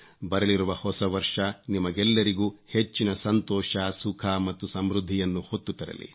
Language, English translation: Kannada, May the New Year bring greater happiness, glad tidings and prosperity for all of you